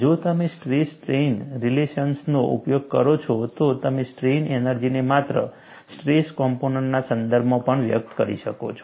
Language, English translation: Gujarati, If you employ the stress strain relations, you could also express the strain energy in terms of only the stress components